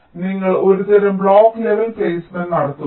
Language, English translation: Malayalam, so you do some kind of block level placement